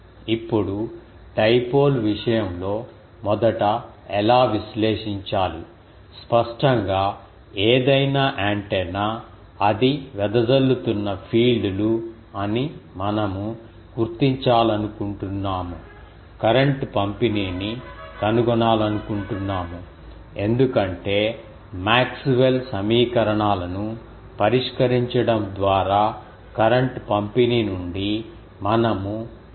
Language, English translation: Telugu, Now, in case of dipole how to analyze first; obviously, we will we are noted that any antenna, if we want to find it is fields um radiated, we want to find the current distribution; Because, from the current distribution by solving Maxwell's equations, we can find the fields